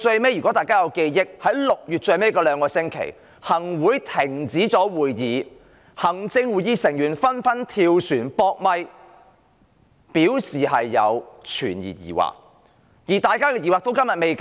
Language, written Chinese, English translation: Cantonese, 如果大家還記得 ，6 月的最後兩星期，行政會議停止開會，行政會議成員紛紛"跳船""扑咪"，對修例表示存疑，大家的疑惑至今仍然未解。, Members may still recall in the last two weeks of June the Executive Council which had stopped conferring were like a sinking ship abandoned by its Members en masse who openly aired their scepticism about the legislative amendment exercise to the media complaining that their misgivings had yet been assuaged